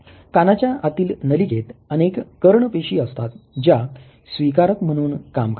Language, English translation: Marathi, The organ of corti has numerous ear cells which act as receptors